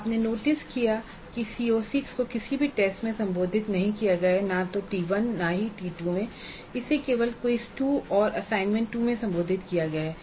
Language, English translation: Hindi, It is addressed only in quiz 2 and CO6 you notice is not addressed in any of the tests at all neither T1 not T2 it is addressed only in quiz 2 and assignment 2 which come much later